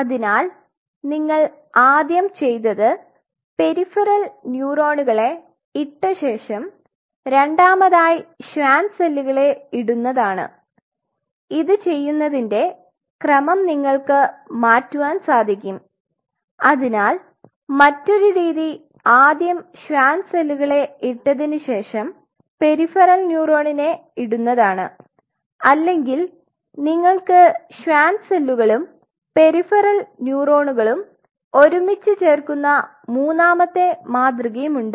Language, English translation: Malayalam, So, here what you did first case is study when I said you put the peripheral neurons first followed by Schwann cells second, you can reverse the order you could have if this is one paradigm you are following there is another paradigm you can follow where you put the Schwann cells first and you put the peripheral neurons second or you could have a third paradigm where you put the Schwann cells and the peripheral neurons together